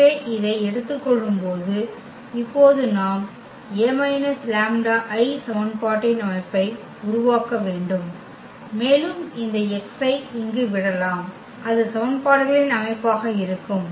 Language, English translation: Tamil, So, while taking this we have to now form the system of equation A minus lambda I and times this x here so, that will be the system of equations